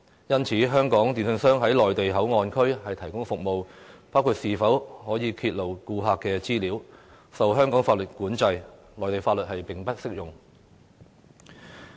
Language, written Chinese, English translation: Cantonese, 因此，在內地口岸區提供服務的香港電訊商可否披露顧客資料的問題，受香港法律規管，內地法律並不適用。, Hence the disclose of customers information by a Hong Kong telecommunication service provider operating in the Mainland Port Area is regulated by Hong Kong laws and the Mainland laws do not apply